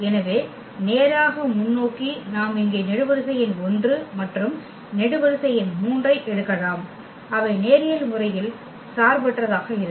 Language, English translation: Tamil, So, a straight forward we can pick the column number 1 here and the column number 3 and they will be linearly independent